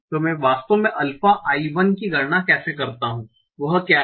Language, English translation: Hindi, So how do I actually compute alpha I1